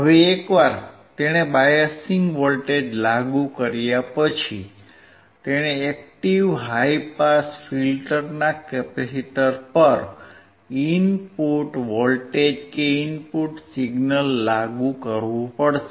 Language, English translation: Gujarati, Now once he has applied the biased voltage, he has to apply the input voltage input signal to the capacitor of the active high pass filter